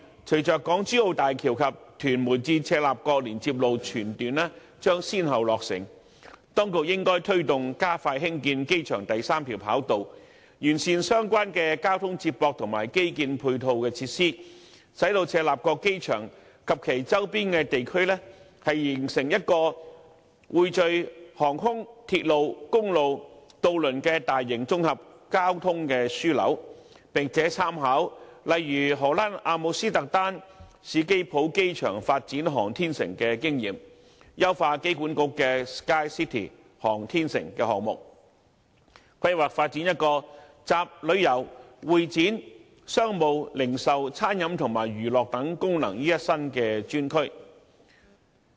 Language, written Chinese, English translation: Cantonese, 隨着港珠澳大橋及屯門至赤鱲角連接路全段將先後落成，當局應該推動加快興建機場第三條跑道，並完善相關的交通接駁和基建配套設施，使赤鱲角機場及其周邊地區形成一個匯聚航空、鐵路、公路和渡輪的大型綜合交通樞紐，並且參考其他地方，例如荷蘭阿姆斯特丹史基浦機場發展航天城的經驗，優化香港機場管理局的 "SKYCITY 航天城"項目，藉以規劃發展一個集旅遊、會展、商務、零售、餐飲和娛樂等功能於一身的專區。, Upon the successive completion of the Hong Kong - Zhuhai - Macao Bridge and the entire Tuen Mun - Chek Lap Kok Link the authorities should strive to expedite the construction of the third runway at the airport and improve the relevant transport connections and complementary infrastructure so that the airport at Chek Lap Kok and its surrounding areas will form a large - scale integrated hub where flight routes railways highways and ferry routes converge . The authorities should also fine - tune the Airport Authoritys SKYCITY project by actively making reference to the experience of the Amsterdam Airport Schiphol in the Netherlands in developing its airport city so that a dedicated area incorporating such functions as tourism convention and exhibition business retail dining and entertainment can be planned and developed